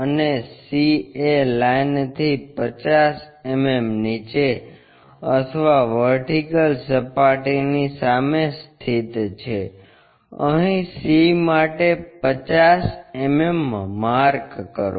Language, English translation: Gujarati, And c is 50 mm below that line or in front of vertical plane, locate 50 mm here this is c